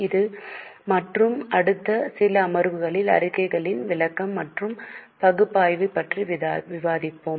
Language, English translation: Tamil, In this and the next few sessions we will discuss about interpretation and analysis of the statements